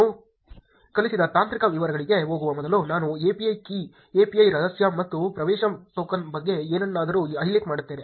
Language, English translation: Kannada, Before going to the technical details I taught I will just highlight something about API key, API secret and access token